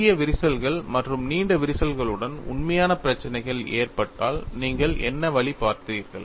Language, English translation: Tamil, And what way you saw is, in the case of actual problems with the short cracks and long cracks, what kind of a comparison